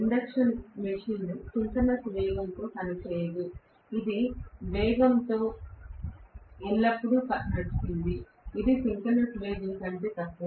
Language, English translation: Telugu, Induction machine cannot run at synchronous speed, it has to run at always or speed, which is less than synchronous speed